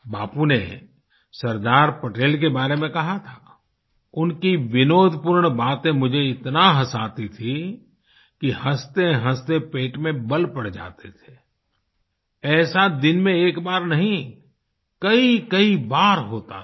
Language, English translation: Hindi, Bapu had said that the jestful banter of Sardar Patel made him laugh so much that he would get cramps in the stomach